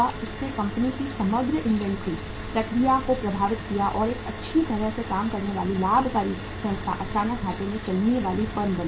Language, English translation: Hindi, That it affected the overall inventory process of the company and a well functioning profitmaking organization suddenly became a lossmaking firm